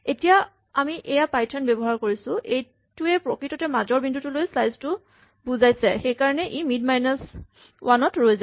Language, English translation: Assamese, Now we are using this Python, think that this is actually means this is a slice up to mid and therefore it stops at mid minus 1